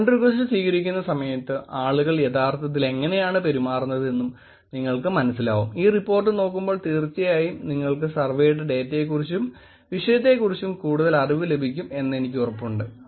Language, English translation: Malayalam, How people actually behave while accepting friends request and I am sure when you look at the report, you will probably get more insights of the survey of the data and of the topic itself